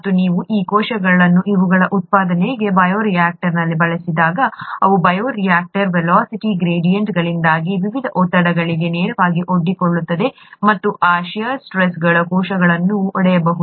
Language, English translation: Kannada, And when you, when these cells are used in the bioreactor for production of these, they have, they are directly exposed to the various stresses because of the velocity gradients in the bioreactor and those shear stresses can break the cells apart